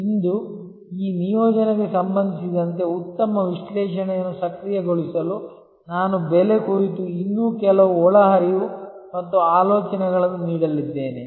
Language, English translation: Kannada, Today, to enable a good analysis with respect to this assignment, I am going to provide some more inputs and thoughts on pricing